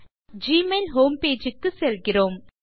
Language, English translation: Tamil, You are directed to the gmail home page